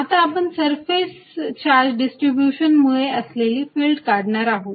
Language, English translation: Marathi, Now, we are going to use this fact to derive field due to a surface charge distribution